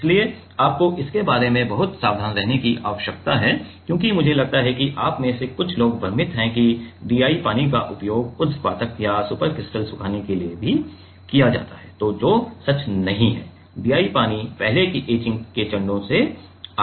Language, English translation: Hindi, So, you need to be very careful about that because, I think some of you have confused the DI water is also used for sublimation and supercritical drying which is not true DI water comes from the etching steps before